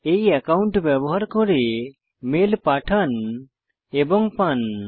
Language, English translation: Bengali, Send and receive mails using this account